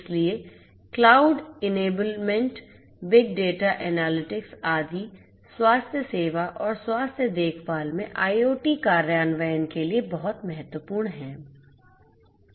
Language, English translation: Hindi, So, cloud enablement big data analytics etcetera are very important in healthcare and IoT implementation in healthcare